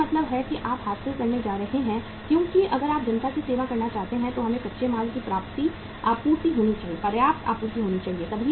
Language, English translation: Hindi, It means you are going to achieve because if you want to sell serve the masses we should have sufficient supply of the raw material